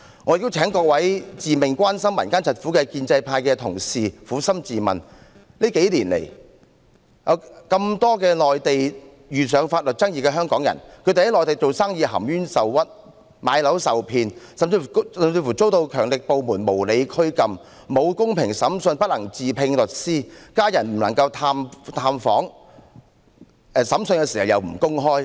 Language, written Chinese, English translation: Cantonese, 我亦請各位自命關心民間疾苦的建制派同事撫心自問，這數年來有無數香港人在內地遇上法律爭議，經營生意含冤受屈、買樓受騙，甚至遭強力部門無理拘禁，得不到公平審訊，不能自聘律師，家人不能探訪，審訊不能公開。, Also I would like to invite colleagues from the pro - establishment camp who proclaim to be very concerned about the plight of the people to examine their conscience . Over the past few years there have been an awful lot of cases of Hong Kong people being caught in legal disputes suffered injustice when doing business cheated in the purchase of properties and even detained unreasonably by powerful agencies when they were in the Mainland . They were denied fair trials denied access to lawyers denied visits by their families and denied open trials